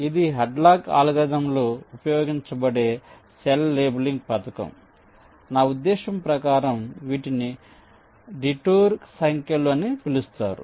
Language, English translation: Telugu, so this cell labeling scheme that is used in hadlocks algorithm, i mean use a, something called detour numbers